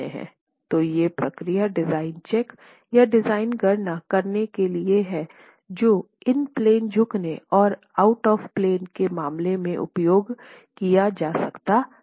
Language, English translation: Hindi, So, these are procedures that can be used for design checks or design calculations both in case of in plane bending and out of plane bending